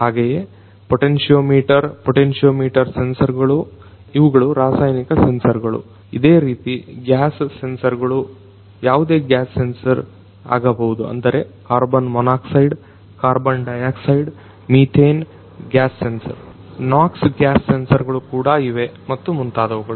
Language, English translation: Kannada, So, these are the chemical sensors likewise gas sensors could be any of the gas sensors like carbon monoxide, carbon dioxide, methane, gas sensor; there is those nox gas sensors and so on